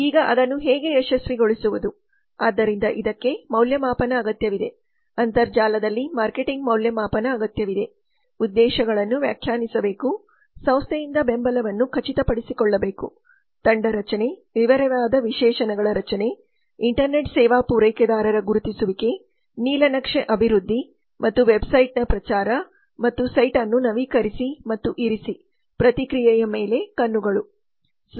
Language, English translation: Kannada, now how to make it successful so it needs evaluation marketing on the internet needs evaluation objectives have to be define ensure support from the organization team formation formation of detailed specifications identification of internet service provider blueprint development and promotion of website and update site and keep eyes on feedback